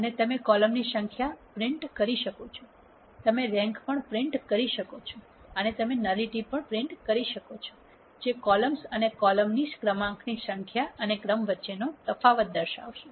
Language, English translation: Gujarati, And you can print the number of columns, you can print the rank and you can print nullity which is the difference between columns and the rank number of columns and the rank